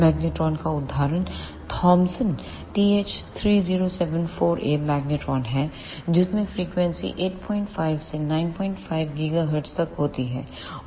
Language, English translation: Hindi, The example of the magnetron is Thomson TH3074A magnetron in which the frequency ranges from 8